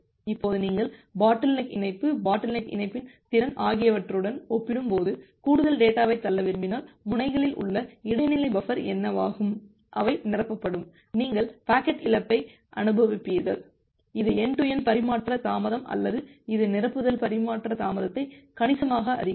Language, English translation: Tamil, Now if you want to push more data compared to the bottleneck link, capacity of the bottleneck link, what will happen that the intermediate buffer at the nodes, they will get filled up, you will experience packet loss, which will reduce the end to end transmission delay or which would fill increase the end to end transmission delay significantly